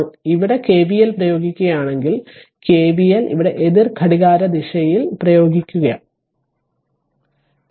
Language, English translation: Malayalam, Now if you apply your KVL here like this, if you apply KVL here right anticlockwise